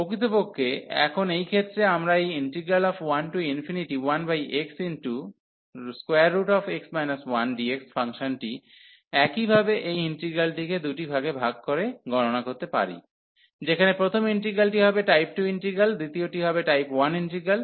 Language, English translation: Bengali, Indeed now in this case, we can also evaluate this function exactly using the same idea by breaking this integral into two parts, where the first integral will be a integral of type 2, the second will be of integral type 1